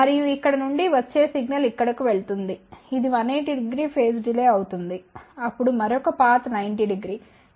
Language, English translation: Telugu, And the signal which comes from here, goes to here, which will be 180 degree phase delay then another path is 90 degree